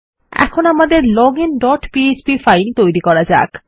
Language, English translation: Bengali, Now let us create our login dot php file